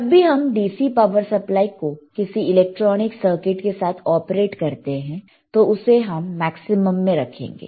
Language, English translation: Hindi, wWhen you are using your DC power supply with any electronic circuit, then keep it at maximum